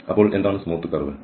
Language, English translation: Malayalam, So, what are the smooth curve